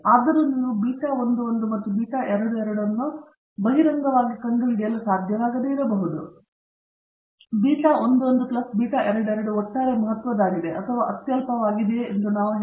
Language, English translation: Kannada, Even though, you may not be able to find out explicitly beta 11 and beta 22 at least we tell you whether beta 11 plus beta 22 is overall significant or insignificant